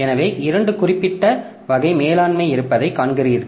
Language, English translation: Tamil, So, you see that there are two specific type of management if we see